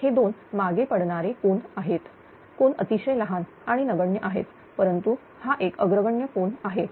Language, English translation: Marathi, This two are lagging angle; although angle is very small and negligible, but and this one is leading angle